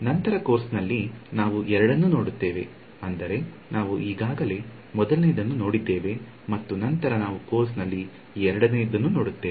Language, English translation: Kannada, Later on in the course we will come across both I mean we have already seen the first one and we will later on the course come across the second one also